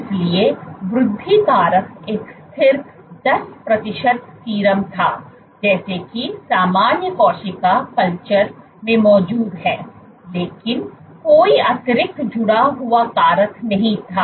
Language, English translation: Hindi, So, growth factor was a constant was 10 percent serum as is present in normal cell culture, but there was no other extra added factors